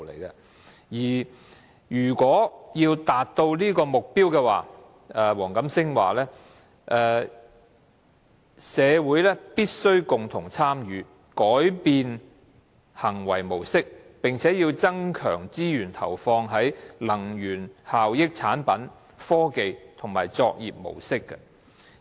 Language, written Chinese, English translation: Cantonese, 如果要達到這個目標，黃錦星說："社會必須共同參與，改變行為模式，並要增強資源投放於能源效益產品、科技及作業模式"。, Mr WONG Kam - sing said that to achieve this target we in the community must take collective actions to change our behaviour and to invest in more energy efficient products technologies and practices